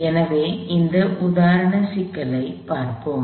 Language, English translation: Tamil, So, let us look at this example problem